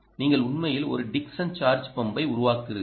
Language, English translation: Tamil, you have actually built a dickson charge pump